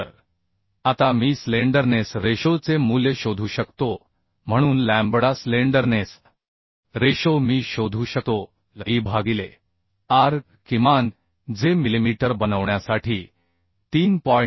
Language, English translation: Marathi, 4 meter So now I can find out the value of slenderness ratio so lambda slenderness ratio I can find out le by r minimum that will be become 3